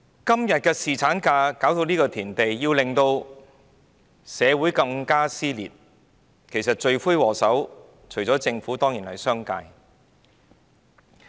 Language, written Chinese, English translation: Cantonese, 今天侍產假弄至社會撕裂，罪魁禍首除了政府之外，當然是商界。, The culprit that has led to the present split in society on paternity leave is apart from the Government definitely the business sector